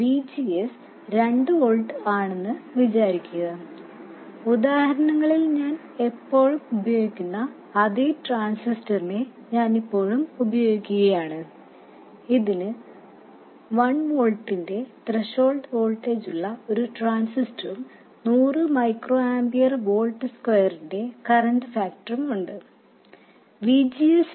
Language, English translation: Malayalam, By the way, I'm still assuming the same transistor that I've always been using in the examples, which is a transistor which has a threshold voltage of 1 volt and a current factor of 100 micro ampere per volt square